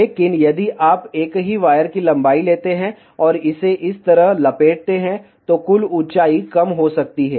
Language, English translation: Hindi, But, if you take the same wire length and wrap it around like this, then the total height can be reduced